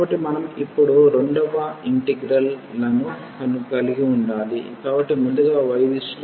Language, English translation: Telugu, So, we need to have two integrals now; so, in the direction of y first and then in the direction of x